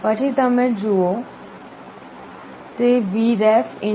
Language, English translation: Gujarati, Then you look at this, it will be Vref